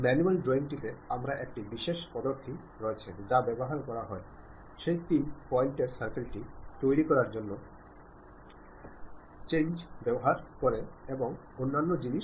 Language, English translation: Bengali, In manual drawing, we have a specialized method to construct that three point circle, using tangents and other things